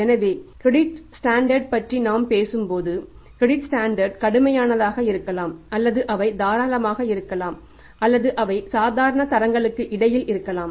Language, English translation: Tamil, So, here credit standard when we talk about credit standards maybe stringent they will be liberal or they may be in between mediocre standards